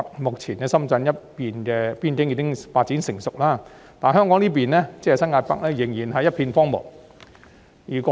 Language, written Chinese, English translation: Cantonese, 目前深圳那一面的邊境已經發展成熟，但香港新界北這一邊仍然是一片荒蕪。, Currently the boundary area of Shenzhen has maturely developed while New Territories North in Hong Kong has remained barren